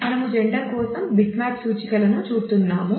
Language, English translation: Telugu, So, we are showing bitmap index for gender